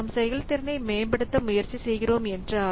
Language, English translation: Tamil, So, if we are trying to optimize the performance